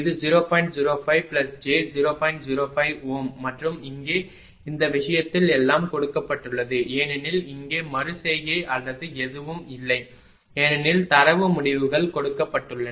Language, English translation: Tamil, 05 ohm and here in this case everything is given that here no question of iteration or anything because data results are given